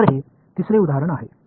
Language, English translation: Tamil, So, this is third example